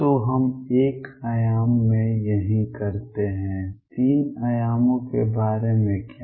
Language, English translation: Hindi, So, this is what we do in 1 dimension what about 3 dimensions